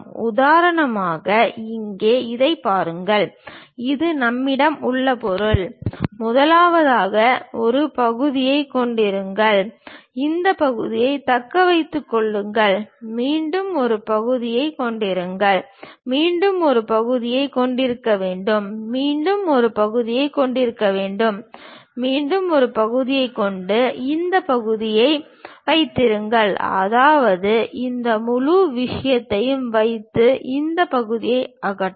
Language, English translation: Tamil, For example, here look at it, this is the object what we have; first of all have a section, retain this part, again have a section, again have a section, again have a section, again have a section and keep this part, that means keep this entire thing and remove this part